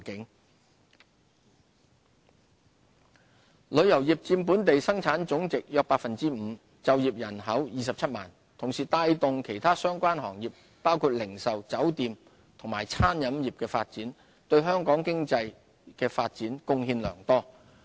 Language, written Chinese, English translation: Cantonese, 旅遊業旅遊業佔本地生產總值約 5%， 就業人口約27萬，同時亦帶動其他相關行業包括零售、酒店及餐飲業的發展，對香港經濟發展貢獻良多。, The tourism industry which makes up 5 % of GDP and employs about 270 000 people has been driving the growth of other related industries including retail hotel and catering industries and contributing significantly to Hong Kongs economy